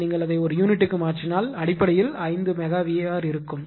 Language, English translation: Tamil, So, if you convert it to per unit, so basically 5 mega watt will be there